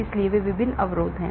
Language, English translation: Hindi, so these are the various barriers